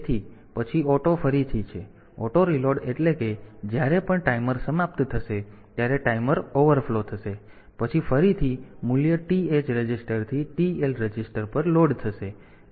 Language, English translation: Gujarati, So, then auto reload; auto reload means whenever the timer will expire timer will overflow, then again, the value will be loaded from TH register to the TL register